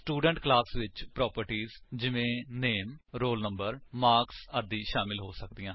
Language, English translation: Punjabi, A Student class can contain properties like Name, Roll Number, Marks etc